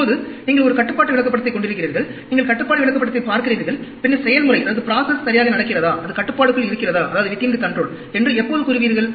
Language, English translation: Tamil, Now, you are having a control chart, you are looking at the control chart and then, when do you say if the process is going well, it is within control